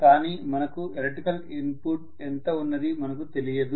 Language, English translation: Telugu, But now we do not know how much is the electrical input